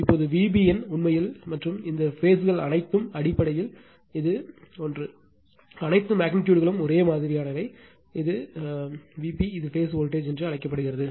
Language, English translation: Tamil, Now, V b n actually and all these phase basically this one is equal to V p all magnitudes are same, this is V p this is called phase voltage right